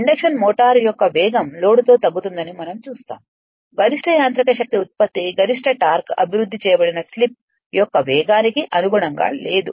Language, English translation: Telugu, We will see this see the speed of the induction motor reduces with load the maximum mechanical power output does not correspond to the speed that is the slip at which maximum torque is developed